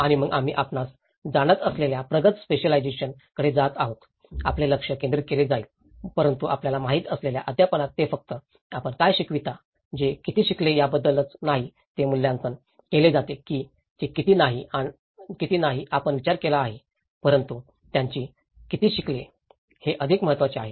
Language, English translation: Marathi, And then, we move on to the advanced specialization you know, your focus will be oriented but in the teaching you know, it is not just about what you teach, how much they have learnt, this is assess that it is not about how much you have thought but how much they have learned is more important